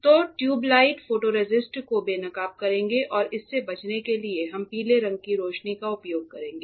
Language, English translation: Hindi, So, even you the tube light will expose the photoresist and to avoid that we will be using the yellow colour light